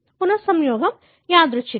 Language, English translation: Telugu, The recombination is random